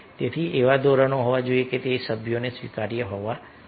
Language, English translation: Gujarati, so there norm should be such that it should be acceptable to the members